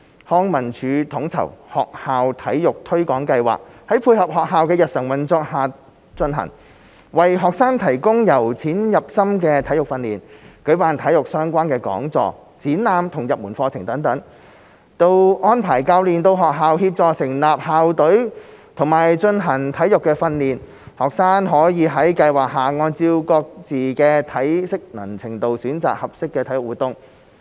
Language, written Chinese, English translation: Cantonese, 康文署統籌的學校體育推廣計劃在配合學校的日常運作下進行，為學生提供由淺入深的體育訓練，舉辦體育相關講座、展覽及入門課程等，到安排教練到學校協助成立校隊及進行體育訓練，學生可在計劃下按照各自的體適能程度選擇合適的體育活動。, The School Sports Programme SSP coordinated by LCSD is conducted in line with the daily schedule of schools . It offers progressive sports training to students organizes sports - related lectures exhibitions and introductory courses etc . and arranges for coaches to conduct sports training for students in schools and assist schools in setting up school teams